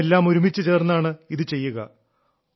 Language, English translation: Malayalam, We're going to do it together